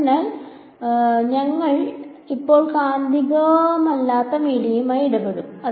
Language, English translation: Malayalam, So, we will deal with non magnetic media for now ok